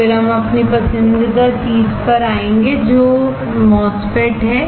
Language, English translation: Hindi, Then we will move to our favourite thing which is MOSFET